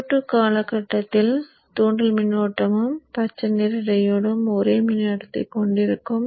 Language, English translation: Tamil, During the time, Q2 period, inductor current and the green diode will be having the same current